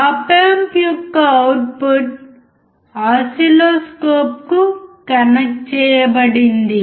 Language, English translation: Telugu, The output of op amp is connected to the oscilloscope